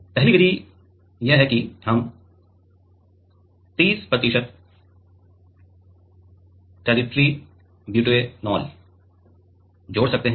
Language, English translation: Hindi, The first method is that; we can add 30 percent tertiary butanol